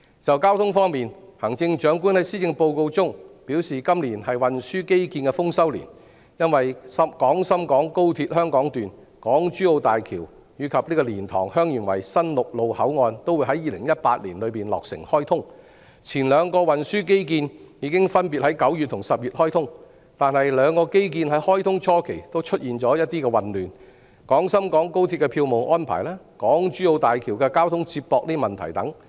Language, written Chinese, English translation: Cantonese, 就交通方面，行政長官在施政報告中表示，今年是運輸基建的豐收年，因為廣深港高鐵香港段、港珠澳大橋及蓮塘/香園圍新陸路口岸都會在2018年落成開通，前兩個運輸基建已分別在9月和10月開通，但兩個基建在開通初期均出現混亂，包括廣深港高鐵的票務安排和港珠澳大橋的交通接駁問題等。, In terms of transport in the Policy Address the Chief Executive says that this is a bumper year for transport infrastructure because in 2018 the Hong Kong Section of the Guangzhou - Shenzhen - Hong Kong Express Rail Link XRL the Hong Kong - Zhuhai - Macao Bridge HZMB and the new land boundary control point at LiantangHeung Yuen Wai would be commissioned . The first two transport infrastructural projects were commissioned in September and October respectively but there were teething problems including the ticketing arrangements of XRL and the transport connection arrangements of HZMB